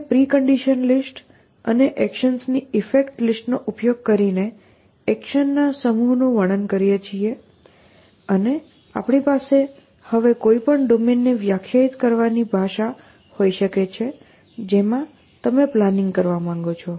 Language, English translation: Gujarati, So, we describe a set of action using the precondition list and the effects list of the actions and we can basically now have a language to define any domain in which you want to do planning